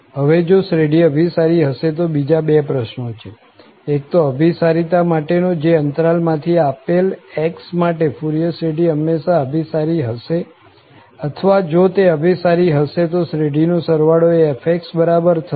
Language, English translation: Gujarati, Again, if the series converges, there are two questions, one about the convergence itself, does the Fourier series always converges for x from the interval or if it converges, is the sum of the series equal to f